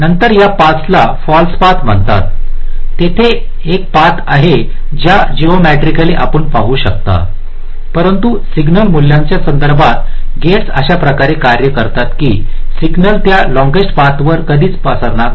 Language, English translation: Marathi, there are path which geometrically you can see there is a path, but with respect to the signal value the gates will work in such a way that signal will never propagate along those long paths